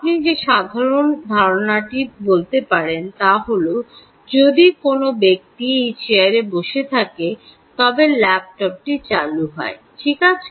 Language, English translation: Bengali, one simple idea you can say is: if a person sits on this chair, the laptop switches on right